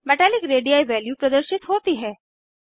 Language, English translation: Hindi, Metallic radii value is shown here